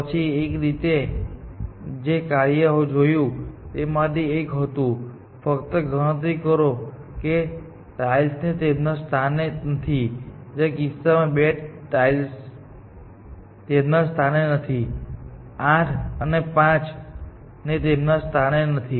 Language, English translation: Gujarati, Then, one way, one of the functions that we saw was; simply count how many tiles are out of place, in which case, two tiles are out of place; both 8 and 5 are out of place